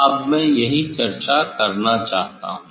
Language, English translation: Hindi, that is what I want to discuss now